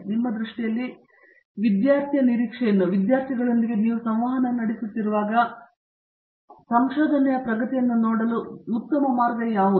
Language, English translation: Kannada, In your view, what is a good way to look at progress in research from a student prospective or as I know as you interact with the student